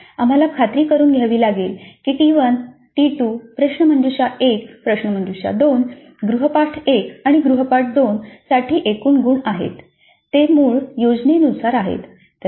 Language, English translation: Marathi, First we have to ensure that the total number of marks for T1 T2, PIS 1, assignment and assignment 2 there as per the original plan